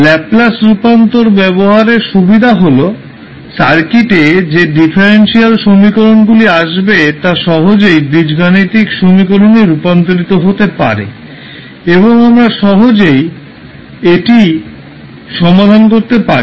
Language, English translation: Bengali, So the advantage of having the Laplace transform is that the differential equations which are coming in the circuit can be easily converted into the algebraic equations and we can solve it easily